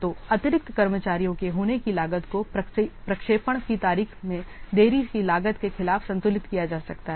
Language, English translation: Hindi, So, such as cost of hiring additional staff, it can be balanced against the cost of delaying the projects and date